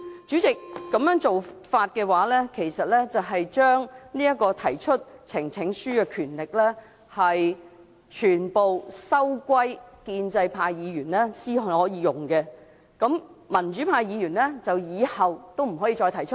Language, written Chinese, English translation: Cantonese, 主席，如果這樣做，其實等於把提交呈請書的權力全部收歸建制派議員所用，民主派議員以後也不能提交。, President this actually means that the power of presenting petitions will become exclusive to pro - establishment Members and democratic Members will be unable to present any petition in the future